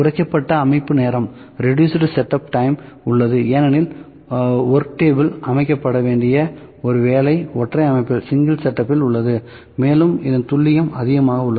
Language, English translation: Tamil, Reduced set up time is there, just because the only work to be set on the work table, with single setup is there, accuracy is high